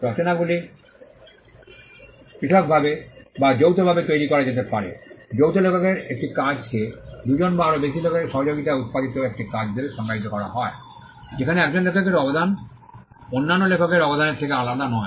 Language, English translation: Bengali, Works can be either created separately or jointly, a work of joint authorship is defined as a work produced by the collaboration of two or more authors, in which the contribution of one author is not distinct from the contribution of other authors